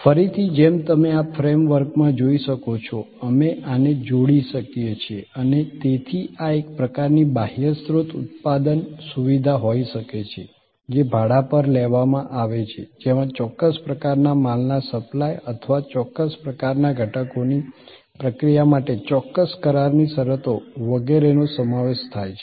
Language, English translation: Gujarati, Again as you can see with in this frame work, we can combine this and therefore, this can be kind of an outsourced manufacturing facility taken on rent including certain contractual conditions for supply of certain types of goods or processing of certain kind of components and so on